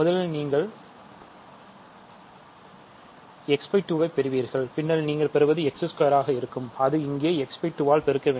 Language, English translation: Tamil, So, you get x by 2, then you get will be x squared here and it will be x by 2 here